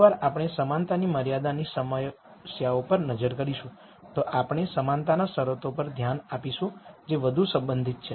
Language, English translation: Gujarati, Once we look at equality constraint problems we will look at in equality constraints which is even more relevant